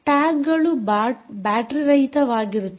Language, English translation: Kannada, tags are battery less, battery less